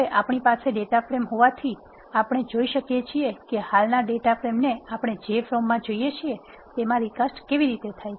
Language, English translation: Gujarati, Since we have the data frame now, we can see how to recast the existing data frame into the form which we want